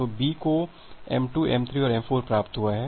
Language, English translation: Hindi, So, B has received m2, m3 and m4